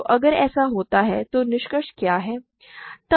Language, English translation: Hindi, So, if this happens what is the conclusion